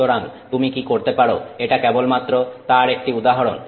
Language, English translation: Bengali, So, this is just an example of what you could do